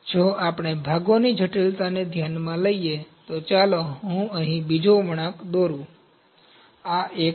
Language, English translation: Gujarati, If we consider the complexity of the parts, so let me draw another curve here, this is one